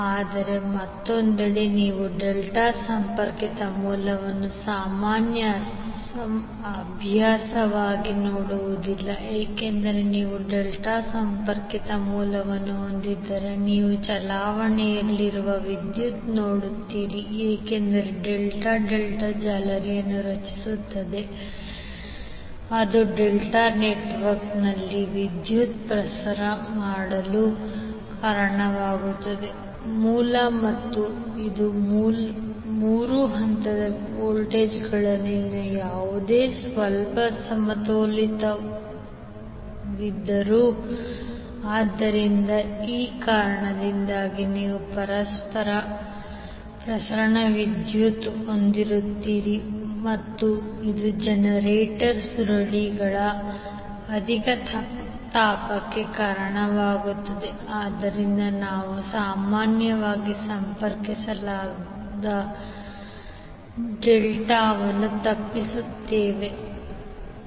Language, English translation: Kannada, But on the other hand you will not see delta connected source as a common practice because if you have the delta connected source you will see the circulating current because delta will create a delta mesh which will cause a current to circulate within the delta network of the source and this will be because of any slight unbalance in the voltages of the three phases, so because of this you will have circulating current and this will cause the overheating of the coils of the generator, so that is why we generally avoid the delta connected source